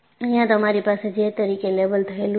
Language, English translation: Gujarati, So, you had this as, labeled as J